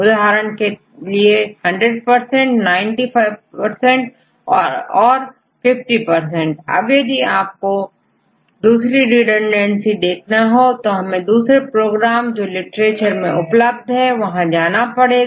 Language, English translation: Hindi, For example, this is 100 percent, 90 percent, and 50 percent right, if you want to have other redundancies we have to use other programs available in the literature